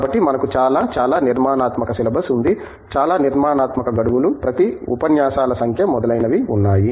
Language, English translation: Telugu, So, we have very, very well structured syllabi, very well structured time lines, number of lectures for each and so on